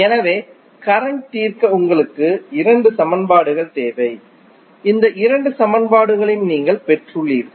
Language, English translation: Tamil, So, you need two equations to solve the circuit and you got these two equations